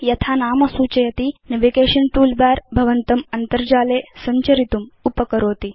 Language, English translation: Sanskrit, As the name suggests, the Navigation toolbar helps you navigate through the internet